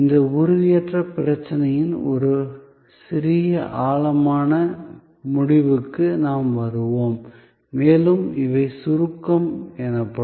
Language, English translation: Tamil, We will get into a little deeper end of this intangibility problem and these are called abstractness